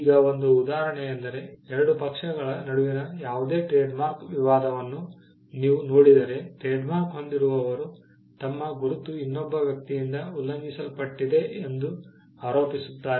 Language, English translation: Kannada, Now one instance is, if you look at any trademark dispute between two parties where, trademark holder alleges that his mark has been infringed by another person